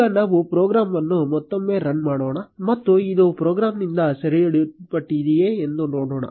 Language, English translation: Kannada, Now let us run the program again and see if this gets captured by the program